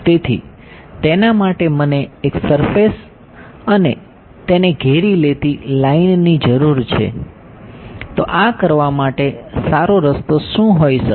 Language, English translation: Gujarati, So, for that I need a surface and a line enclosing it, so what might be good way to do this